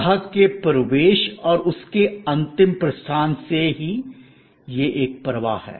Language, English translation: Hindi, Right from the entrance of the customer and his final departure, it is a flow